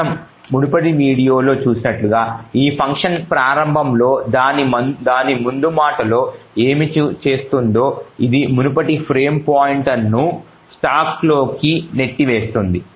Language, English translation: Telugu, Now as we have seen in the previous video what this function initially does in its preamble is that it pushes into the stack that is the previous frame pointer into the stack